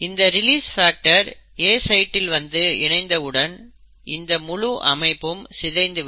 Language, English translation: Tamil, And once this release factor comes and binds to the A site, it basically causes the dissociation of this entire complex